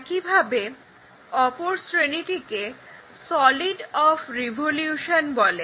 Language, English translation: Bengali, Similarly, there is another set called solids of revolution